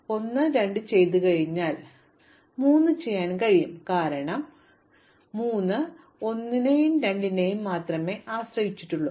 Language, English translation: Malayalam, Now, having done 1 and 2 I can do 3, because 3 has only depends on 1 and 2